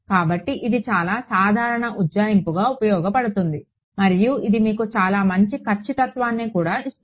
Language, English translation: Telugu, So, this is a very common approximation that is used and that gives you very good accuracy also